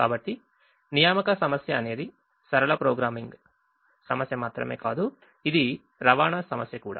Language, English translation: Telugu, so the assignment problem is not only a linear programming problem, it is also a transportation problem